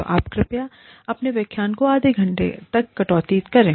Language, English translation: Hindi, So, you please cut short your lectures, to half an hour